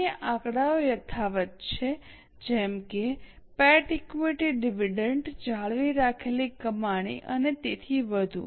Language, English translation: Gujarati, Other figures are unchanged like PAT, equity dividend, retain earnings and so on